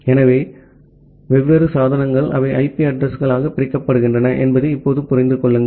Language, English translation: Tamil, So, for the time being just understand that different devices, they are separated by the IP addresses